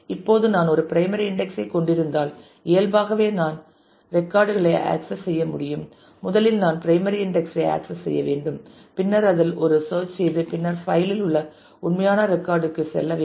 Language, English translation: Tamil, Now, if I have a primary index then naturally to be able to access the records I will have to first access the primary index and then do a search in that and then traverse the point at to go to the actual record in the file